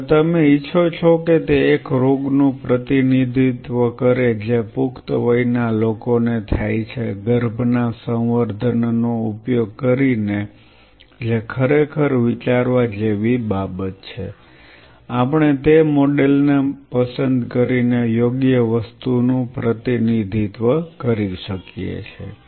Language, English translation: Gujarati, Now, you want it to represent a disease which causes to an adult, by using a culture which is of fetus that is something really ponder upon are we representing the right edge by picking up that model